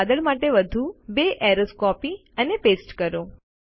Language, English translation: Gujarati, Lets copy and paste two more arrows for this cloud